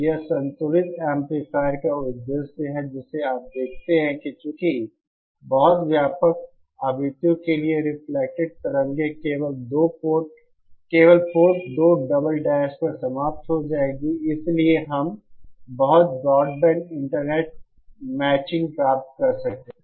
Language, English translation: Hindi, So this is so the purpose of the balanced amplifier you see is that since for a very wI De range of frequencies, the reflected waves will end up only at Port 2 double dash, hence we can achieve very broad band Internet matching